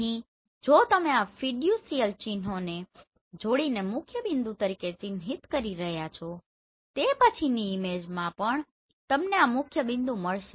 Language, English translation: Gujarati, So here if you are marking this as a principal point by joining the fiducial marks then in the next image also you will find this principal point